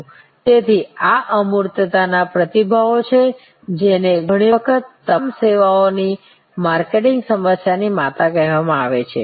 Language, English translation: Gujarati, So, these are responses to intangibility which are often called the mother of all services marketing problems